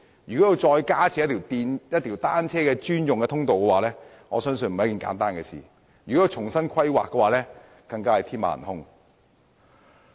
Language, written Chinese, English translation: Cantonese, 如要加設單車專用通道，我相信並非一件簡單的事情，而且如要重新規劃，更是天馬行空。, I believe the provision of additional passageways dedicated to bicycles only is by no means an easy task and replanning is even out of the question